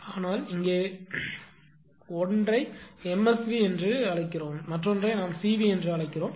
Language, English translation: Tamil, But here will show one you call MSV, another we call CV